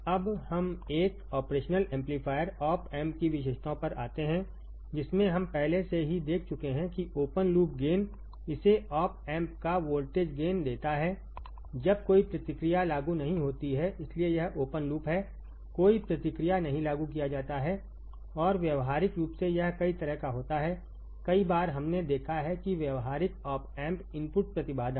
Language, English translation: Hindi, Now, let us come to the come to the characteristics of an operational amplifier op amp characteristics we have seen this already that open loop gain it has voltage gain of op amp when no feedback is applied why that is why it is open loop no feedback is applied and practically it is several 1000s, several 1000s we have seen right that in practical op amp input impedance